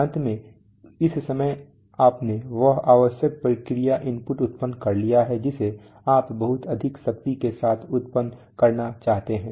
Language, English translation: Hindi, Finally at this point of time you have got, you have generated that necessary process input which you wanted to cause with a lot of power